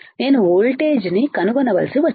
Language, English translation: Telugu, I had to just find out the voltage